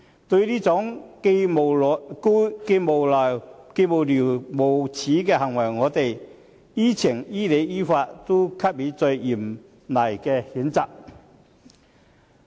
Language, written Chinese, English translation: Cantonese, 對於這種既無聊又無耻的行為，我們於情、於理、於法都必須加以最嚴厲的譴責。, In the face of such frivolous and despicable action and in terms of law reason and fairness we must state our severest condemnation